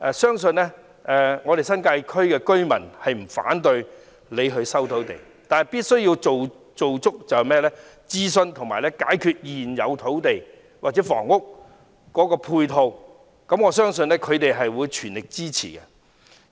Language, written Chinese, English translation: Cantonese, 相信新界區的居民不會反對政府收回土地，但必須進行充分的諮詢及解決現有土地或房屋的配套問題，我相信他們會全力支持的。, I believe the New Territories residents are not against land resumption by the Government as long as adequate prior consultations are done and the problem of ancillary facilities is solved . I believe they will fully support the Government